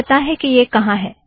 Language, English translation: Hindi, So I know where it is